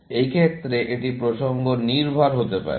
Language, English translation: Bengali, In this case, it could be context dependent